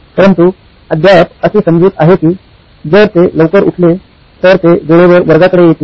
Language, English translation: Marathi, So, but still the assumption is that if they woke up early, they would be on time to the class